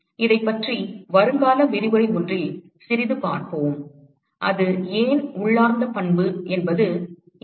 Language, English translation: Tamil, We will see a little bit about this in one of the future lectures ok why it is an intrinsic property is here